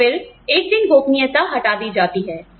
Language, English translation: Hindi, And then, once the secrecy is lifted